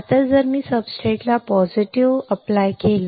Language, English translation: Marathi, Now, if I apply positive with respect to the substrate